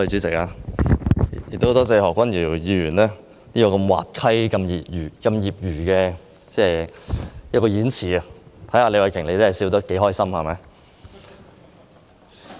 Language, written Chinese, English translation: Cantonese, 代理主席，感謝何君堯議員如此滑稽的演辭，看看李慧琼議員笑得多麼開心。, Deputy President I thank Dr Junius HO for his whimsical speech . Let us see the big smile on Ms Starry LEEs face